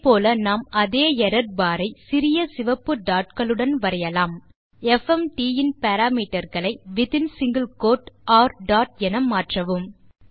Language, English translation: Tamil, similarly we can draw the same error bar with small red dots just change the parameters of fmt to r dot